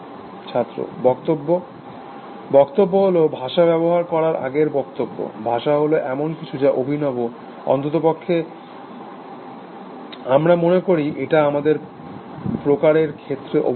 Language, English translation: Bengali, speech Speech, the speech, before speech use of language, language is something which is unique to; at least we think it is unique to our species